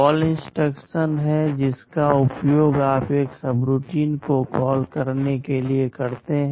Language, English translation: Hindi, There is a CALL instruction that you use to call a subroutine